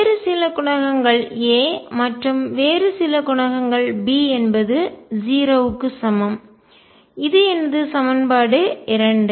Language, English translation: Tamil, Some other coefficients times A plus some other coefficients times B is equal to 0; that is my equation 2